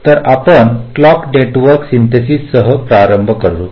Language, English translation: Marathi, ok, so we start with clock network synthesis